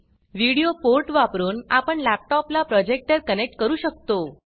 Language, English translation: Marathi, There is a video port, using which one can connect a projector to the laptop